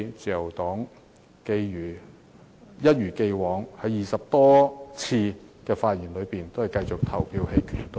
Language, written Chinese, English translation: Cantonese, 自由黨會一如既往，一如過去20多次的議案辯論，繼續投棄權票。, As in the past 20 - odd motion debates on the subject the Liberal Party will continue to cast an abstention vote on the motion